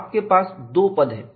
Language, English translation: Hindi, And it has two main terms